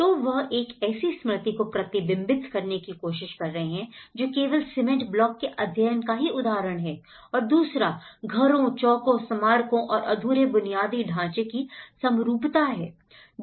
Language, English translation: Hindi, So, they are trying to reflect as a memory which is a completely studied for cement blocks and the second, is a symmetry of houses, squares, monuments and unfinished infrastructure